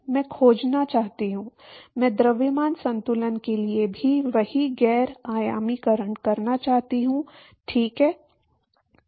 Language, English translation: Hindi, I want to find, I want to do the same non dimensionalization for mass balance also, right